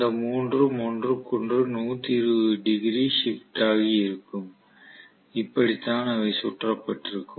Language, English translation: Tamil, All the 3 of them will be 120 degree shifted from each other that is how they are going to be wound